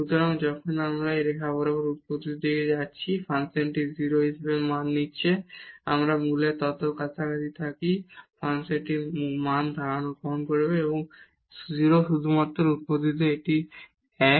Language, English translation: Bengali, So, when we are approaching to origin along this line here, the function is taking value as 0 whatever close we are to the origin the function will take the value 0 only at the origin it is 1